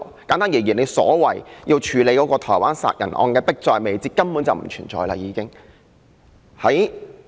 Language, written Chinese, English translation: Cantonese, 簡單而言，政府說迫在眉睫，要處理的台灣殺人案，這個因素根本已不存在。, That is to say the factor of urgency in handling the Taiwan murder case as claimed by the Government no longer exists